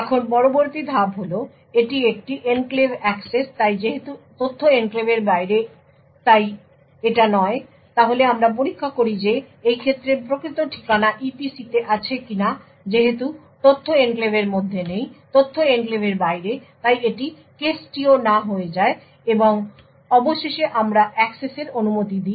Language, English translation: Bengali, Now the next step is this a enclave access so since the data is outside the enclave so therefore no then we check whether the physical address is in the EPC in this case since the data is not in the enclave the data is outside the enclave therefore this case is too is also no and finally we allow the access